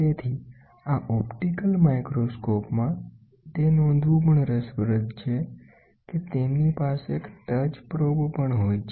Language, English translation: Gujarati, So, in this optical microscope, it is also interesting to note that, they also have a touch probe